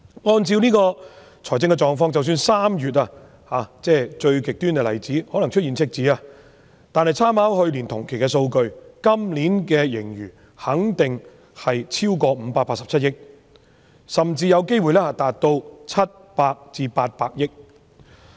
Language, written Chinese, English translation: Cantonese, 按照這種財政狀況及參考去年同期的數據，即使是最極端的例子，在3月出現赤字，今年的盈餘肯定超過587億元，甚至有機會達到700億元至800億元。, Considering the fiscal situation and taking reference from the data in the same period last year even in the extreme case that we should have a deficit in March the surplus this year will surely exceed 58.7 billion and it may even reach 70 billion or 80 billion